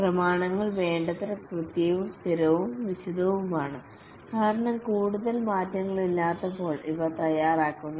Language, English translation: Malayalam, The documents are sufficiently accurate, consistent and detailed because these are prepared when there are no more changes